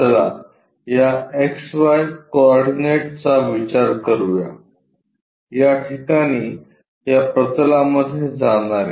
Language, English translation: Marathi, Let us consider this X Y coordinates perhaps at this location passing into that plane